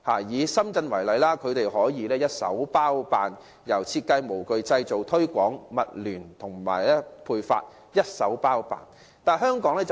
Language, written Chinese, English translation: Cantonese, 以深圳為例，當地工業由設計、模具、製造、推廣及物聯網發配均一手包辦。, Take Shenzhen as an example . Their local industries have been providing comprehensive services ranging from design moulding manufacturing promotion to distribution through the Internet of Things